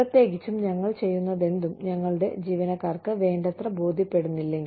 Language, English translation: Malayalam, Especially, if whatever we are doing, is not convincing enough, for our employees